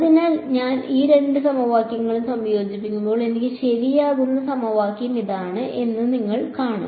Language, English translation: Malayalam, So, when I combine these two equations you will see this is the equation that I get ok